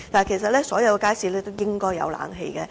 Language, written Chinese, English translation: Cantonese, 其實，所有街市均應裝設冷氣。, Actually all public markets should be equipped with air - conditioning facilities